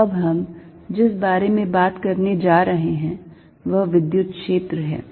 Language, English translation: Hindi, So, what we are going to now talk about is the electric field